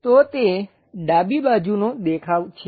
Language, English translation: Gujarati, So, it is left side view